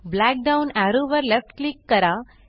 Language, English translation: Marathi, Left click the black down arrow